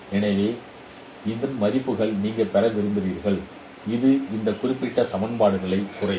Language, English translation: Tamil, So you would like to get that values of H which will minimize this particular equations